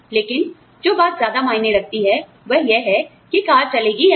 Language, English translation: Hindi, But, what matters more is, whether the car will run or not